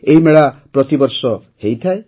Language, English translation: Odia, This fair takes place every year